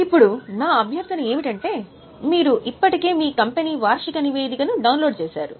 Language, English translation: Telugu, Now my request is you have already downloaded the annual report of your company